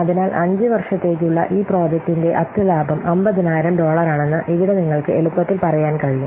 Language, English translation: Malayalam, So, here you can see easily that the net profit for this example project for 5 years is coming to be $50,000